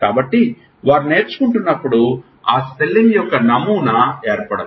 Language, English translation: Telugu, So, may be when they are learning the pattern of that spelling has not formed